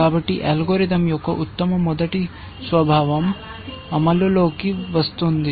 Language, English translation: Telugu, So, that is where the best first nature of the algorithm comes into play